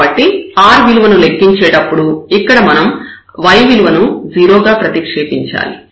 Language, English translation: Telugu, So, when we compute r, so we need to substitute y to 0 here